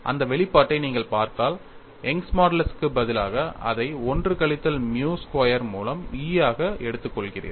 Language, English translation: Tamil, In fact, you can do that; if you look at that expression, instead of Young's modulus, you take it as E by 1 minus nu squared, instead of Poisson ratio nu, you put it as nu by 1 minus nu